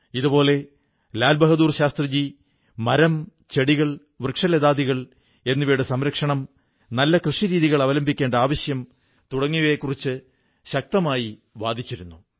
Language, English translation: Malayalam, Similarly, Lal Bahadur Shastriji generally insisted on conservation of trees, plants and vegetation and also highlighted the importance of an improvised agricultural infrastructure